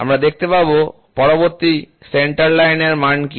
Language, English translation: Bengali, We will see what is centre line next